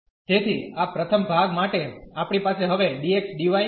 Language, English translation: Gujarati, So, for this first part we will have we want to have now the dx dy